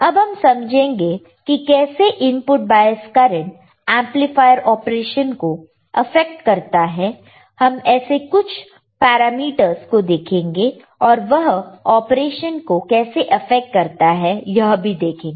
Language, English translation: Hindi, So, let us understand how the input bias currents affect the amplifier operation, we will see few of the parameters and we will see how they are affecting the operation ok